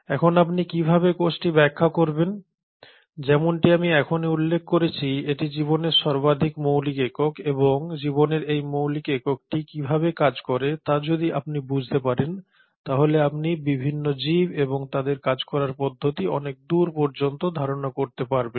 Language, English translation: Bengali, Now how do you define cell; as I just mentioned it is the most fundamental unit of life and it is this cell if you understand how this fundamental unit of life works you can kind of extrapolate a lot to the various organisms and their mechanisms of working